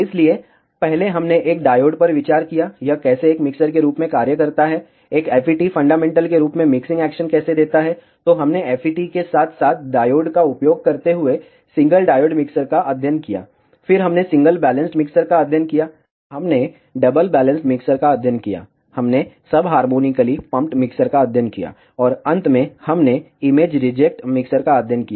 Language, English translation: Hindi, So, first we considered a diode, how it performs as a mixture, how a FET fundamentally gives mixing action, then we studied single diode mixers using FETs as well as diodes, then we studied single balanced mixers, we studied double balanced mixers, we studied ah sub harmonically pumped mixers, and finally we studied image reject mixers